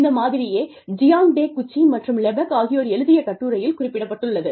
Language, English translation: Tamil, This is the model, that has been referred to, in the paper by Jiang Takeuchi, and Lepak